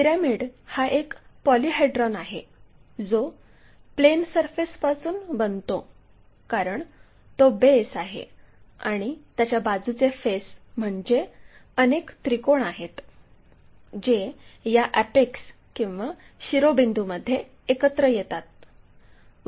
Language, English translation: Marathi, A pyramid is a polyhedra formed by plane surface as it is base and a number of triangles as it is side faces, all these should meet at a point called vertex or apex